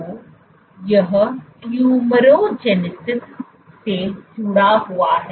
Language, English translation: Hindi, So, this has been linked to tumorigenesis